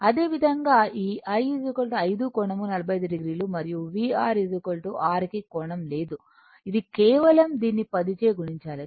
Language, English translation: Telugu, Similarly, I also this one is equal to 5 angle 45 degree and V R is equal to R has no angle it is simply multiplied by the ten